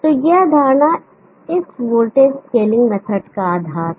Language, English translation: Hindi, So this assumption is the bases for this voltage scaling method